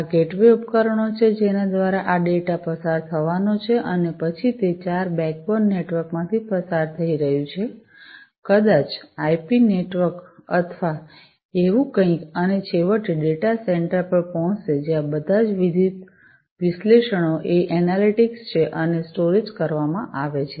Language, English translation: Gujarati, So, these are the gateway devices, through which this data are going to pass through, and then it is going to go through the four backbone network maybe the IP network or, something like that and then finally, the data will reach the data center where all the different analytics are analytics and storage are performed